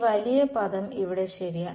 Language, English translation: Malayalam, That this big term over here right